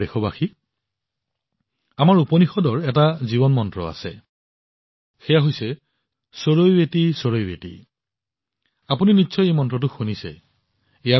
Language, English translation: Assamese, My dear countrymen, our Upanishads mention about a life mantra 'CharaivetiCharaivetiCharaiveti' you must have heard this mantra too